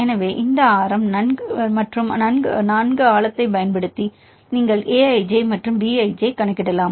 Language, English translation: Tamil, So, using this radius and well depth; you can calculate A i j and B i j